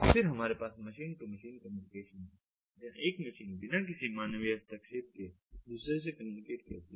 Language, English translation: Hindi, then we have the machine to machine communication, where one machine talks to another without any human intervention